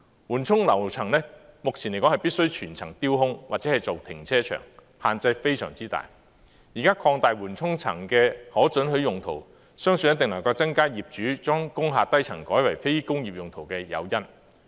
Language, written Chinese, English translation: Cantonese, 目前來說，緩衝樓層必須全層掉空或作為停車場，限制非常大，現在擴大緩衝樓層的可准許用途，相信一定能夠增加業主將工廈低層改為非工業用途的誘因。, Admittedly this is a huge restriction . Now that the permissible uses of buffer floors will be widened it is believed that the owners are more incentivized to convert the lower floors of industrial buildings into non - industrial uses